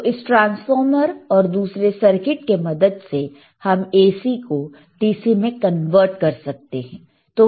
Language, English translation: Hindi, And using this transformer and the another circuit, we can convert your AC to DC